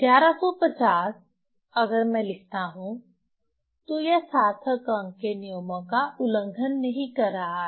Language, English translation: Hindi, 5 if I write so it is not violating the significant figure rules